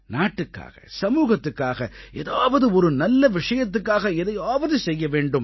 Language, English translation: Tamil, One should do something for the sake of the country, society or just for someone else